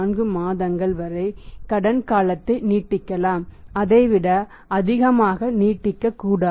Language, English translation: Tamil, 34 months at up to maximum credit can be extended is that is up to 10